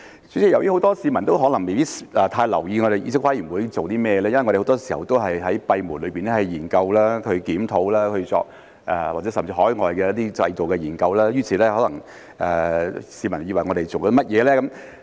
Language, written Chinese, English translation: Cantonese, 主席，很多市民可能未必太留意議事規則委員會是做甚麼的，因為我們很多時候都是閉門研究、檢討甚至是海外進行的一些研究，於是可能便會有市民以為我們在做甚麼呢？, President many members of the public may not pay much attention to what the Committee on Rules of Procedure does since we conduct studies and reviews even work on overseas behind closed doors most of the time . Therefore some people may wonder what we are doing